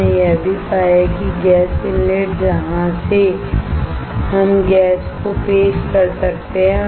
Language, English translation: Hindi, We also found that the gas inlet from where we can introduce the gas